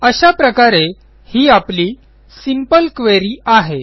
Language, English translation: Marathi, So this is our first simple query